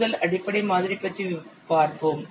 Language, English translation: Tamil, Let's see about first the basic model